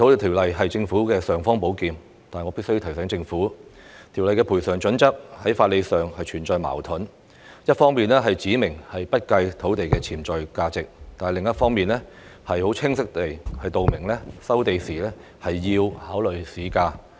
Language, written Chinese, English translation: Cantonese, 《條例》是政府的"尚方寶劍"，但我必須提醒政府，《條例》的賠償準則在法理上存在矛盾，一方面指明不計土地的潛在價值，但另一方面卻清晰指明收地時要考慮市價。, While the Ordinance is the imperial sword of the Government I must remind it that the criteria of compensation in the Ordinance are legally contradictory . On the one hand it specifies that the potential value of the land is not considered; on the other hand it clearly specifies that the market value should be considered in land resumption